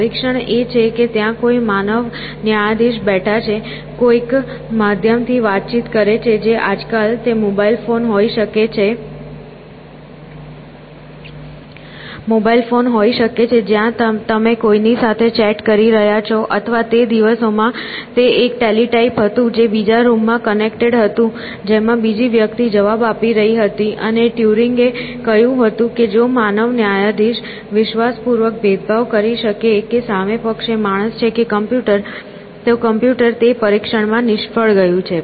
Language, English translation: Gujarati, The test is that there is a human judge sitting out there, interacting over some medium; it could be nowadays a mobile phone where you are chatting with someone; or, in those days it was a teletype which was connected to another room in which the other person who was responding; and what Turing said was that if that human judge can confidently discriminate whether the other side is man or a computer, then the computer has failed the test